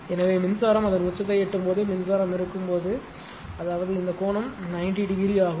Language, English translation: Tamil, So, when current is when current is reaching its peak; that means, this angle is 90 degree